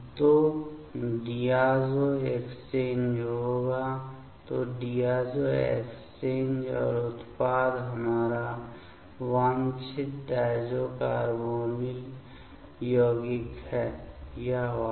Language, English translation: Hindi, So, the diazo exchange will happen ok; so diazo exchange and the product is our desired diazo carbonyl compound; this one ok